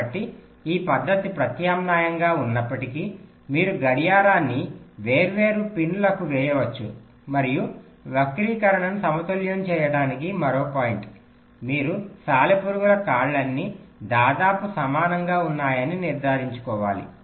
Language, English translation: Telugu, so, although this method is is an alternative where you can layout the clock to different pins and means, and again, another point, to balance skew, you have to ensure that all the legs of the spiders are approximately equal